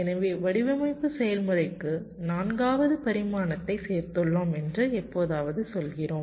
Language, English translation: Tamil, so we sometime say that we have added a fourth dimension to the design process